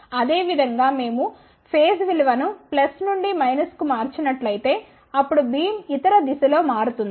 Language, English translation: Telugu, Similarly, if we change the phase values from plus to minus then the beam will shift in the other direction